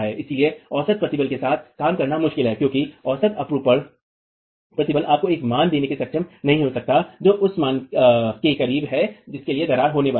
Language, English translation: Hindi, So, working with the average shear stress is tricky because the average shear stress might not be able to give you a value that is close to the value for which cracking is going to occur